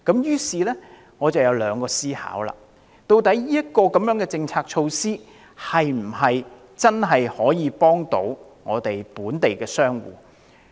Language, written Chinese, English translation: Cantonese, 於是，我產生了兩大思考：究竟這項政策措施能否真正幫助本地商戶？, Two major questions came to my mind Can this policy measure be of real help to local business operators?